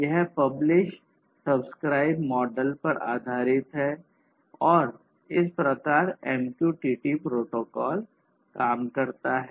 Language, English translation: Hindi, So, this is overall based on publish/subscribe model and this is how this MQTT protocol essentially works